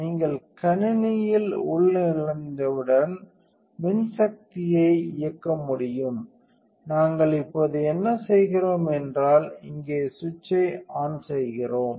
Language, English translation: Tamil, So, once you have logged in the machine will be able to power up and what we do now is we turn the on switch on here